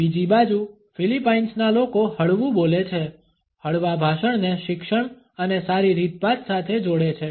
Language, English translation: Gujarati, On the other hand people from Philippines speak softly, associate a soft speech with education and good manners